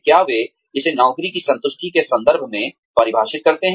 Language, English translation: Hindi, Do they define it, in terms of job satisfaction